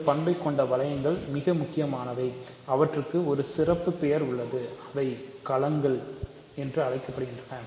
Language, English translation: Tamil, So, rings which have this property are very important, they have a special name and they are called fields